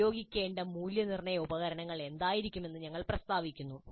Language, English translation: Malayalam, We state what will be the assessment tools to be used